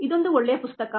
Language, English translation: Kannada, this is a good book